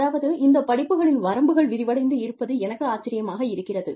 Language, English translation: Tamil, I mean, it is amazing, to see the outreach of these courses